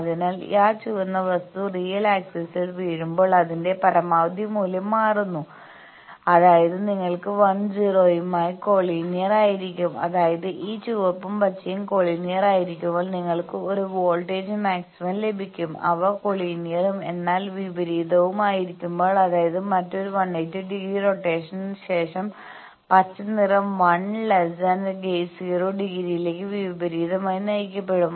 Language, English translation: Malayalam, So, that is changing the maximum value of that when that red thing will fall on the real axis; that means, you will be collinear with 1 0; that means, when both these red and green they are collinear you will get a voltage maxima, when they are collinear, but opposite; that means, the after another 180 degree rotation the green one will be oppositely directed to 1 angle 0